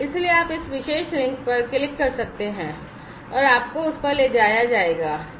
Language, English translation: Hindi, So, you can click on this particular link, and you know, you would be taken to that